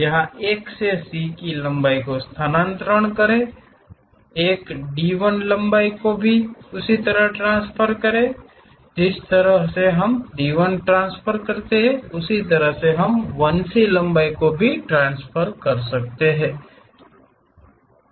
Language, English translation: Hindi, Transfer 1 to C length here; one can transfer D 1 length also in the same way, the way how we transfer D 1 we can transfer it there all 1 C length we can transfer it